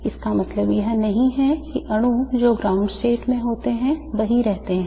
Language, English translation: Hindi, It doesn't mean that the molecules which are in the ground state stay there